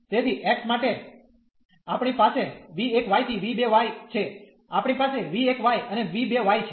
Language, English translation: Gujarati, So, for x we have v 1 y to v 2 y, we have v 1 y and to v 2 y